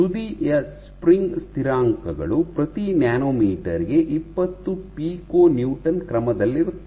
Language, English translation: Kannada, So, spring constants of the tip order 20 Pico Newton per nanometer